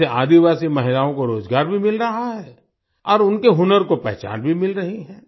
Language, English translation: Hindi, This is also providing employment to tribal women and their talent is also getting recognition